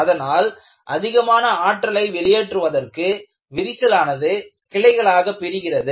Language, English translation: Tamil, So, if more energy has to be dissipated, the crack has to branch out